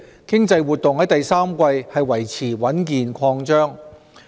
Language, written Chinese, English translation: Cantonese, 經濟活動在第三季維持穩健擴張。, Economic activities maintained solid expansion in the third quarter